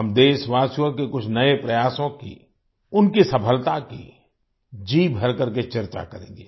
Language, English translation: Hindi, We will discuss to our heart's content, some of the new efforts of the countrymen and their success